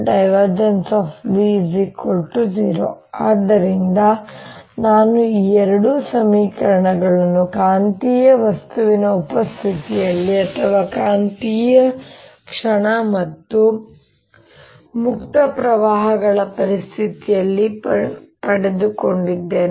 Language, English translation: Kannada, so i have got these two equations in presence of magnetic material, or in presence of magnetic moment and free currents